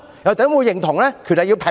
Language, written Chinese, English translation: Cantonese, 又怎會認同權力要平衡？, Will it agree that there should be balance of power?